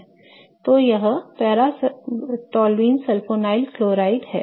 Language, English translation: Hindi, Okay, so that is paratoleul sulfonyl chloride